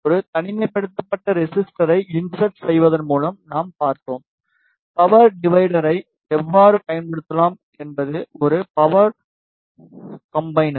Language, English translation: Tamil, And then we saw by inserting a isolator how we can use the power divider is a power combiner